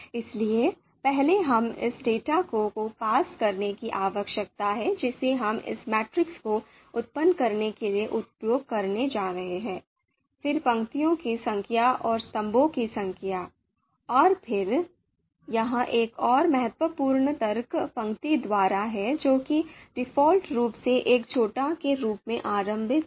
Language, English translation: Hindi, So first we need to pass on this you know data that we are going to use to create this generate this matrix, then number of rows and number of columns, and then this another important argument here is by row that is you know initializes as a false that is default value